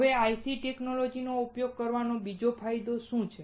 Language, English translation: Gujarati, Now, what is the second advantage of using IC technology